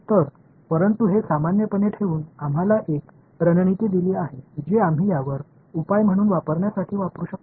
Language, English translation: Marathi, So, but this keeping it general has given us a strategy that we can use to formulate I mean to get the solution to this